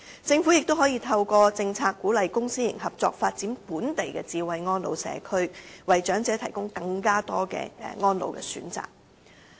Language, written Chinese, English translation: Cantonese, 政府亦可以透過政策，鼓勵公私營合作發展本地的"智慧安老社區"，為長者提供更多安老選擇。, The Government can also formulate policies to encourage the development of smart elderly care communities through public - private partnerships to provide the elderly with more care options